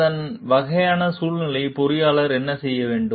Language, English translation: Tamil, And what the engineer is supposed to do in those type of situations